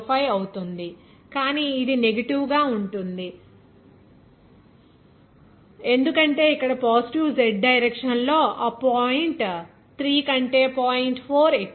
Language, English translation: Telugu, 05, but it will be negative because here 4 point is higher than that point 3 in the positive Z direction